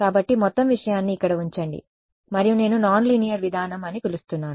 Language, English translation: Telugu, So, put it put the whole thing over here and that is what I am calling a non linear approach ok